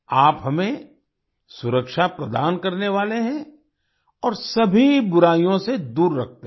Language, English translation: Hindi, You are the protector of us and keep us away from all evils